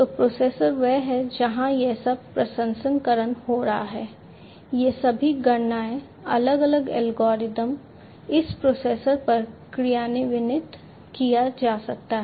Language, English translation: Hindi, So, processor is the one, where all this processing are taking place all these computations different algorithms can be executed at this processor